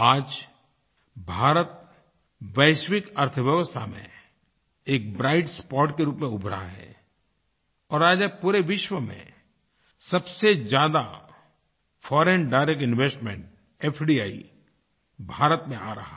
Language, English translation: Hindi, Today India has emerged as a bright spot in the global economy and today the highest foreign direct investment or FDI in the world, is flowing to India